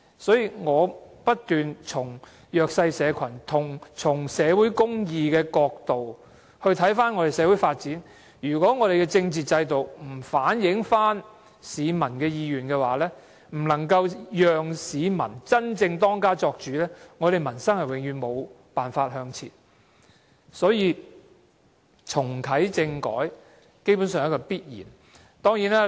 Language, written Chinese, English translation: Cantonese, 所以，我不斷從弱勢社群、社會公義的角度來看社會發展，如果我們的政治制度不反映市民的意願，不能夠讓市民真正當家作主，我們的民生永遠無法向前，重啟政改基本上是必然的。, It is fake . Thus I have been considering social development from the perspectives of the vulnerable and social justice . If our political system cannot reflect the aspirations of the people and make people the decision makers our livelihood can never progress forward